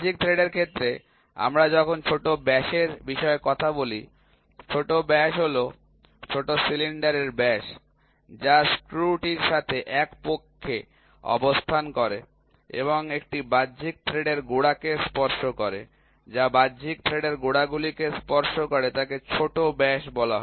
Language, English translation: Bengali, When we talk about minor diameter in case of external thread, minor diameter is the diameter of the minor cylinder, which is coaxial with the screw and touches the root of an external thread, which touches the roots of an external thread is called as minor diameter